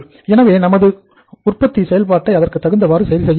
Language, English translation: Tamil, So our manufacturing process has to be adjusted accordingly